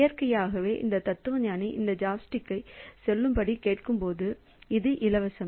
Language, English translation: Tamil, So, the, so naturally when this philosopher is asking for say this chopstick, so this one is free